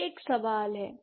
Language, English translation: Hindi, That's one question